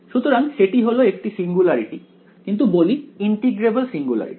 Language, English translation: Bengali, So, this singularity is what is called integrable all right